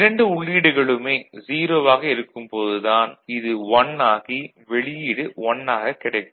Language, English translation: Tamil, Only when both of them are 0 so, this is 1 and this is 1, this output is 1